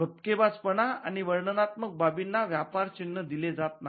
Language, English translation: Marathi, So, laudatory and descriptive matters are not granted trademark